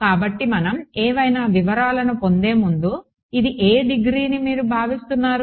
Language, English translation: Telugu, So, before we you get into any details what degree do you expect this to be